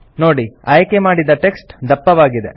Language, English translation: Kannada, You see that the selected text becomes bold